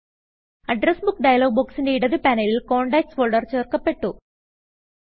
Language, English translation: Malayalam, In the left panel of the Address Book dialog box, a new folder contacts has been added